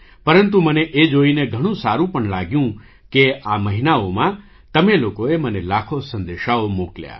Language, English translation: Gujarati, But I was also very glad to see that in all these months, you sent me lakhs of messages